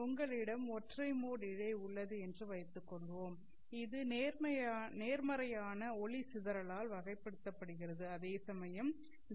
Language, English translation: Tamil, Suppose you have a single mode fiber which is characterized by positive dispersion whereas DCFs are characterized by negative dispersion